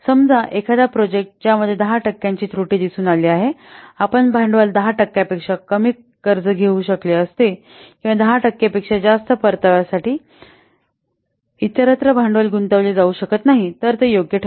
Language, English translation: Marathi, So, suppose a project that shows an IRR of 10% it would be worth if the capital could be borrowed for less than 10% or the capital it could not be invested in a annual show here for a return greater than 10%